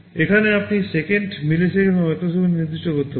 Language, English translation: Bengali, Here also you can specify in seconds, milliseconds or microseconds